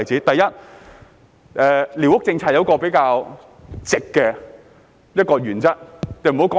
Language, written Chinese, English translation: Cantonese, 第一，寮屋政策有一個比較直的原則。, First there is a relatively straightforward principle for the squatter policy